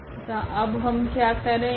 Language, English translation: Hindi, And what we do now